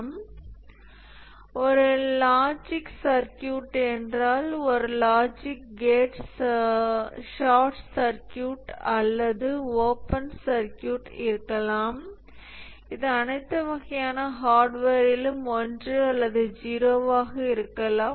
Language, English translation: Tamil, If it is a logic circuit, a logic gate can become short circuited or open circuit and therefore it may be 1 or 0